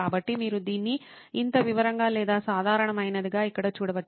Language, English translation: Telugu, So, you can do this as detailed as this or as generic as this you can see it here